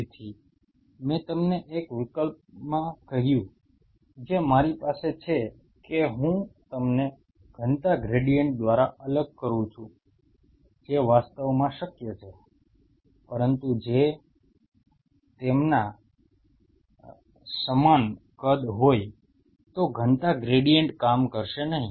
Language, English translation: Gujarati, So, I told you one options I have is that I separate them out by density gradient which is possible actually, but if they are of the same size then the density gradient would not work out